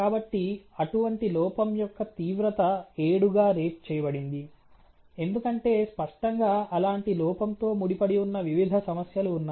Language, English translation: Telugu, So, the severity of such defect has been rated as seven, because obviously there is a chain of different problems, which is associated with such a defect